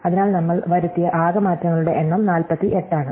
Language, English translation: Malayalam, So, the total number of changes we made is 48